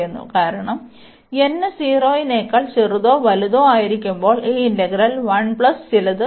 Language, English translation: Malayalam, Because, when n is less than equal to 0, we have this integral 1 plus something